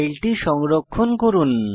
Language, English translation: Bengali, Let us now save the file